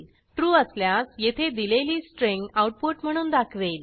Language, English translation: Marathi, If it is true, it will print out the string that is specified there